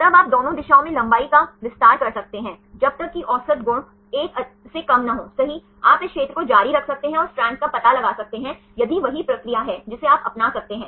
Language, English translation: Hindi, Then you can extend the length in both the directions unless the average property is less than 1 right you can continue the region and find the strand if there are the same procedure you can adopt